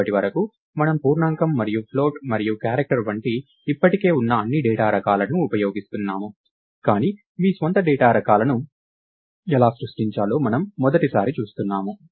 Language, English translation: Telugu, So, far we have been using all the data types that are already in place, like int and float and character and so, on, but for the first time we are seeing, how to create your own data types